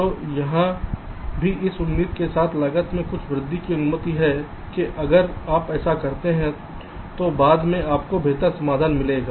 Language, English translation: Hindi, so here, also allowing some increase in cost, with the expectation that if you do this may be later on you will get a better solution